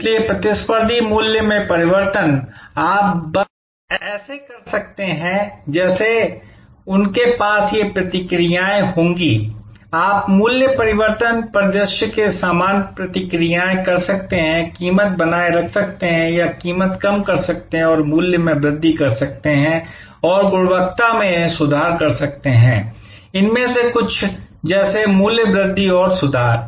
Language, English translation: Hindi, So, competitors price change, you can just like they will have these responses, you can have the similar responses to a price change scenario, maintain price or reduce price and increase price and improve quality, etc